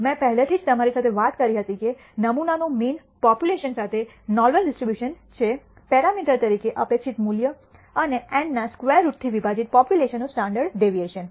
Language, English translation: Gujarati, I already talked to you that the sample mean has a normal distribution with population mean as the parameter the expected value and the standard deviation of the population divided by square root of n